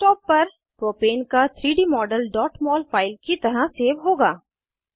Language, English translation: Hindi, 3D model of Propane will be saved as .mol file on the Desktop